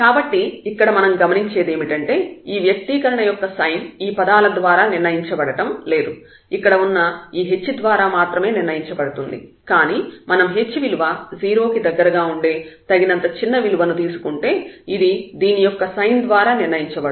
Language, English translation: Telugu, So, what we will notice here the sign will be determined by this h only not by these terms here, but we have to go to a sufficiently small h close to 0 to see that this will be determined by the sign of this one